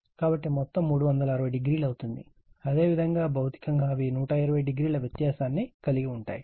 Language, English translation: Telugu, Similarly, a a dash, b b dash and c c dash basically physically they are 120 degree apart right